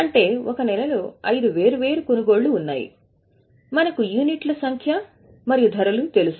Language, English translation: Telugu, So, in a month totally there are 5 different purchases and we know the units and the prices